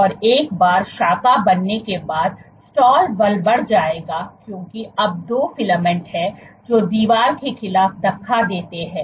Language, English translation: Hindi, And once the branch is formed the stall force will increase because now there are two filaments which push against the wall